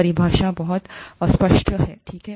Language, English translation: Hindi, Definition is very vague, okay